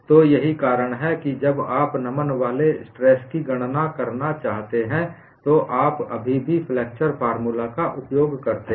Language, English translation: Hindi, So, that is why when you want to calculate the bending stress, you still use the flexure formula